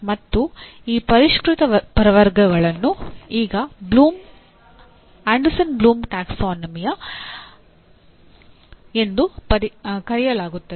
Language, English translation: Kannada, And this revised taxonomy is now referred to as Anderson Bloom Taxonomy